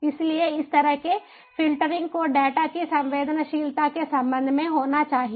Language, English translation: Hindi, so this kind of filtering has to happen: ah with respect to the sensitivity of data